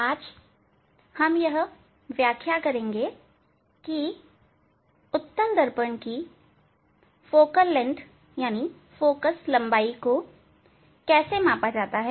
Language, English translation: Hindi, Today, we will demonstrate how to measure the Focal Length of Convex Mirror